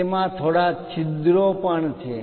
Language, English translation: Gujarati, It has few holes also